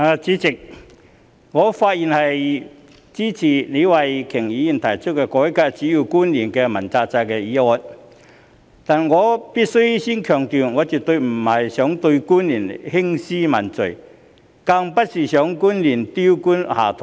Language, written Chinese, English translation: Cantonese, 主席，我發言支持李慧琼議員提出"改革主要官員問責制"的議案，但我首先必須強調，我絕非要對官員興師問罪，亦不希望官員丟官下台。, President I speak in support of the motion moved by Ms Starry LEE on Reforming the accountability system for principal officials but I must first emphasize that it is definitely not my intention to denounce government officials and take punitive actions against them nor do I wish to see any officials step down and lose their official posts